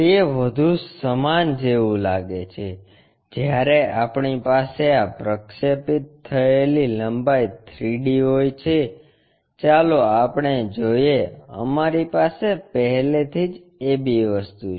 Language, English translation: Gujarati, It is more like, when we have this projected length in 3 D, let us look at this we already have AB thing